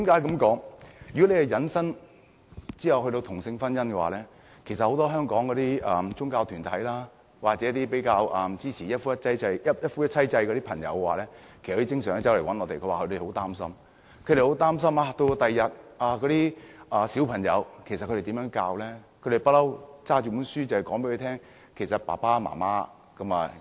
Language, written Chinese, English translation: Cantonese, 這項議題涉及同性婚姻，香港很多宗教團體，或者一些支持一夫一妻制的人士，經常來向我們表示很擔心，不知道日後如何教導小孩，因為他們一向拿着書本告訴小孩，一個家有爸爸、媽媽及孩子。, It is because same - sex marriage is involved . Many religious groups in Hong Kong and some supporters of the institution of monogamy often express great concern that they do not know how to teach children in future because they have been telling children and showing them books that there are a father a mother and children in a family